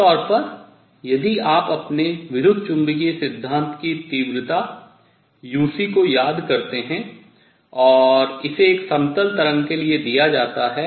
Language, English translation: Hindi, Usually, if you have recalled your electromagnetic theory intensity uc and that is given for a plane wave